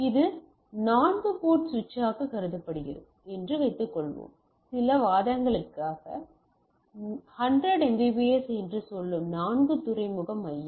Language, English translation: Tamil, Suppose considered this a four port switch, a four port hub of say 100 Mbps for our some arguments thing right